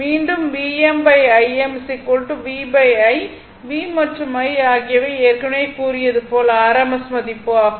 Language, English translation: Tamil, And again is equal to v m by I m is equal to v by i where V and I is the rms value earlier I told you